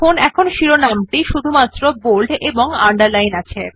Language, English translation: Bengali, Hence the heading is now bold as well as underlined